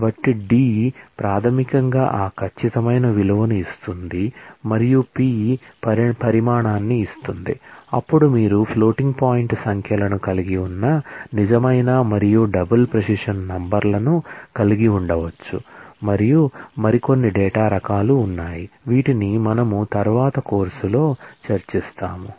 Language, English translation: Telugu, So, d basically gives that precision value and p gives the size, then you can have real and double precision numbers you have can have floating point numbers and so on, and there are some more data types, which we will discuss later in the course